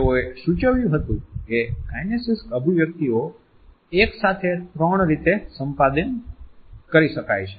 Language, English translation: Gujarati, They have suggested that the kinesic expressions are acquired in three ways simultaneously